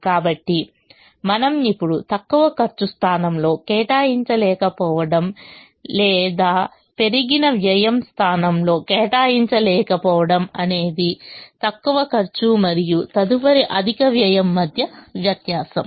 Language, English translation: Telugu, so we now say that the cost of not, or the increased cost of not being able to allocate in the least cost position is the difference between the least cost and the next higher cost